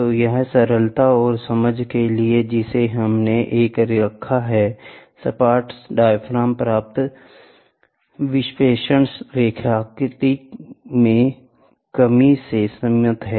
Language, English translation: Hindi, So, this is for single for simplicity and understanding we have put one, the deflection attained by the flat diaphragm is limited by the linearity constraints